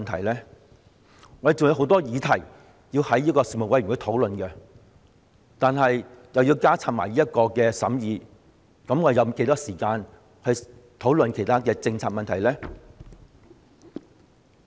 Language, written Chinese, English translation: Cantonese, 我們還有很多議題要在人力事務委員會討論，如果要加插這項審議工作，那我們有多少時間討論其他政策問題呢？, With a good many issues also requiring us to discuss in the Panel on Manpower how much time will be left for us to discuss other policy issues if there is this additional scrutiny work?